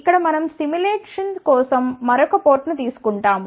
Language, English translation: Telugu, Here we take a another port over here that is for simulation